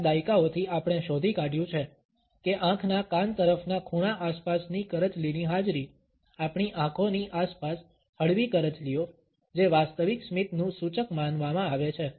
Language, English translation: Gujarati, For several decades we find that the presence of the crow’s feet, the mild wrinkles around our eyes what considered to be an indication of genuine smiles